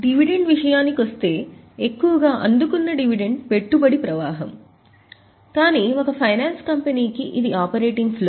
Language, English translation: Telugu, As far as the dividend is concerned, mostly dividend received is an investing flow but for a finance company it is a operating flow